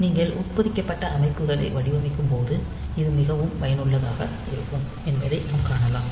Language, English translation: Tamil, So, we will see that this is very much useful particularly when you are designing embedded systems